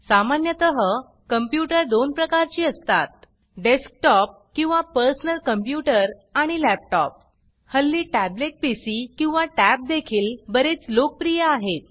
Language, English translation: Marathi, Generally, there are 2 types of computers Desktop or Personal Computer and Laptop Now a days, tablet PCs or tabs for short, are also quite popular